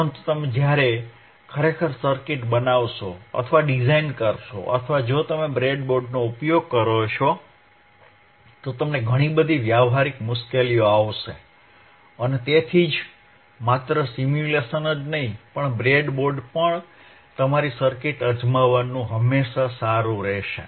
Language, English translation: Gujarati, But when you actually factually abricatefabricate or design the circuit, and if you use the breadboard, you will find lot of actual effective ppractical difficulties and that is why it is always good to not only do the simulations, but also try your circuits on the breadboard